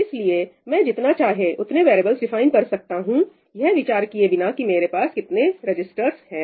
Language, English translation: Hindi, So, I can define as many variables as I want irrespective of the number of registers I have